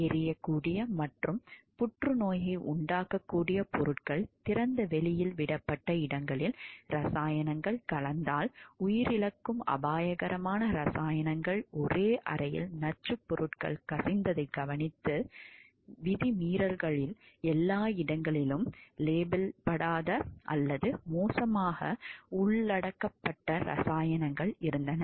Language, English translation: Tamil, Among the violations observed where flammable and cancer causing substances left in open, chemicals that become lethal if mixed were kept in the same room, drums of toxic substances were leaking there were chemicals everywhere misplaced unlabeled or poorly contained